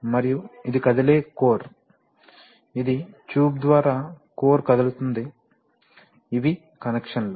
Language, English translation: Telugu, And this is the movable core, this is the tube through which the core moves, these are the connections